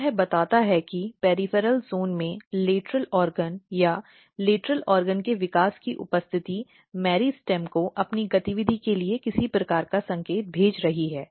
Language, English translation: Hindi, So, this tells that the presence of lateral organ or development of lateral organ in the peripheral zone is sending some kind of signal to the meristem for its own activity